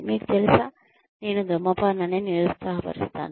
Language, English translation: Telugu, You know, you may have again, I discourage smoking